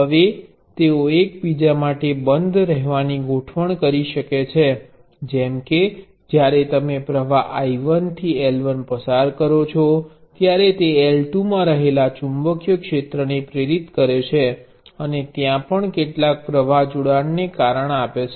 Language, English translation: Gujarati, they can be arrange to be closed enough to each other such that when you pass the current I 1 to L 1, it induces of magnetic filed in L 2 and causes some flux linkage there as well